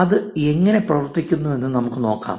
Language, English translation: Malayalam, Let us see how that works